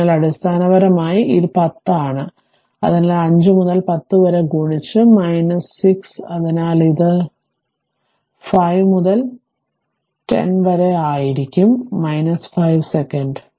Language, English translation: Malayalam, So, basically it is your, what you call that is 10 10 ohm, so multiplied by 5 into 10 to the power minus 6, so it will be 5 into 10 to the power minus 5 second right